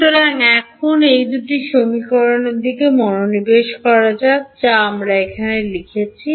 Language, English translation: Bengali, So, now let us move attention to these two equations that I written over here